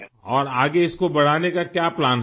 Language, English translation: Urdu, And what is your plan to scale it further